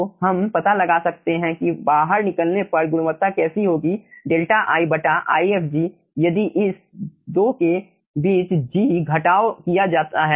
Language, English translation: Hindi, so we can find out that quality at at the exit will be this deltai divided by ifg subtraction between these 2, so you can get at the exit